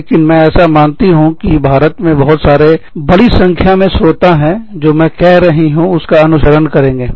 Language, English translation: Hindi, But, I am assuming, that a lot of, a large number of listeners, within India, will follow, what I am saying